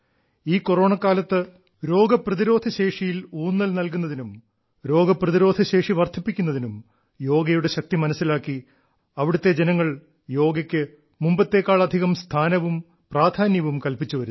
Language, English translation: Malayalam, In these times of Corona, with a stress on immunity and ways to strengthen it, through the power of Yoga, now they are attaching much more importance to Yoga